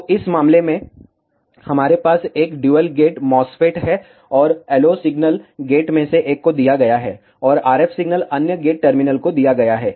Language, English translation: Hindi, So, in this case, we have a dual gate MOSFET, and the LO signal is given to one of the gate, and the RF signal is given to the other gate terminal